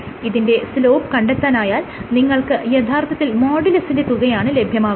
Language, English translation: Malayalam, So, this is the slope of the line would give you the modulus ok